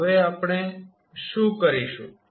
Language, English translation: Gujarati, So, now what we will do